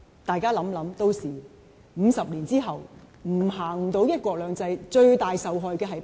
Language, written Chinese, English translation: Cantonese, 大家想一想 ，50 年後，如果不能實行"一國兩制"，最大的受害者是誰？, Let us imagine 50 years later should one country two systems be no longer in force who would be the greatest victims?